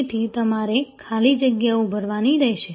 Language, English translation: Gujarati, So, you simply have to fill in the blanks